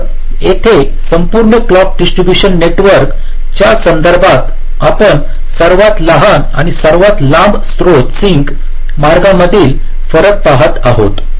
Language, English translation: Marathi, so so here, with respect to the whole clock distribution network, we are looking at the difference between the shortest and the longest source sink paths